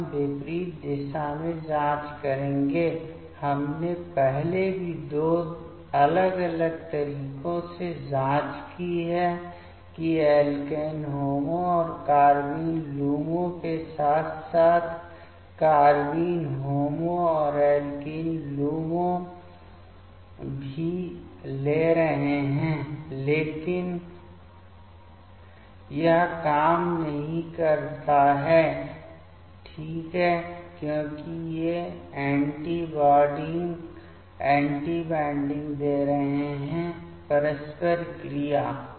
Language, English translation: Hindi, Now, we will check in opposite direction, we have checked previously also in two different way that taking alkene HOMO and carbene LUMO as well as carbene HOMO and alkene LUMO, but that does not work ok, because these are giving the anti bonding interaction